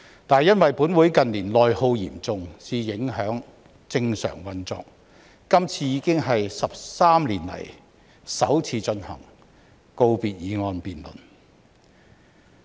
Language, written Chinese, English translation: Cantonese, 但是，因為本會近年內耗嚴重，以致影響正常運作，今次已經是13年以來首次進行告別議案辯論。, However since the Councils normal operation has been affected by its severe internal attrition in recent years this is the first time in 13 years that the Council holds a valedictory motion debate